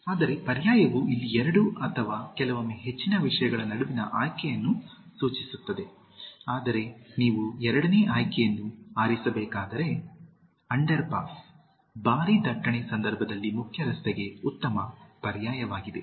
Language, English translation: Kannada, Whereas, alternative refers to a choice between two or sometimes more things, but, where you have to select the second option so, The underpass is a good alternative to the main road in case of heavy traffic